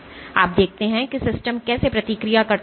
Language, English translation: Hindi, And you see how the system responds